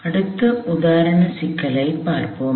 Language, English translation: Tamil, We will take on the next example problem